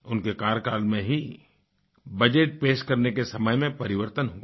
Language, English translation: Hindi, It was during his tenure that the timing of presenting the budget was changed